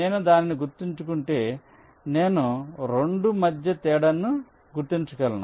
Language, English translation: Telugu, if i remember that, then i can distinguish between the two